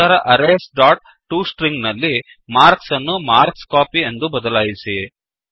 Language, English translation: Kannada, Then, in arrays dot toString, change marks to marksCopy